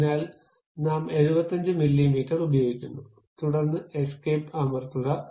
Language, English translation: Malayalam, So, for that we are using 75 millimeters OK, then press escape